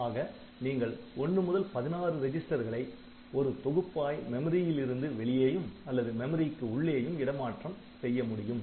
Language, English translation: Tamil, So, you can transfer between 1 to 16 registers to or from memory